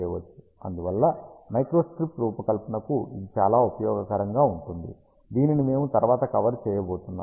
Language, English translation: Telugu, And hence it is very useful for micro strip design which we are going to cover next